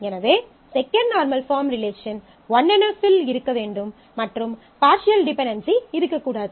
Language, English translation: Tamil, So, second normal form will require that the relation is in 1 NF and there is no partial dependency